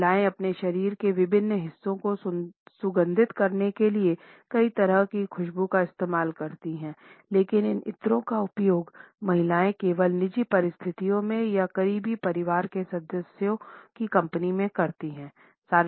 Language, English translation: Hindi, Women use a wide range of scents to perfume different parts of their bodies, but these perfumes are used by women only in private situations in the company of other women or close family members